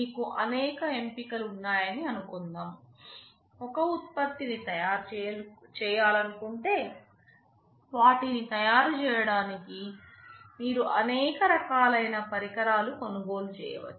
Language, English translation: Telugu, Suppose you have several choices; like to manufacture a product you see that there are several different kind of equipments you can purchase to manufacture them